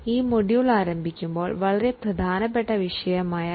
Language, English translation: Malayalam, Now in our module 3 we are going to discuss two important things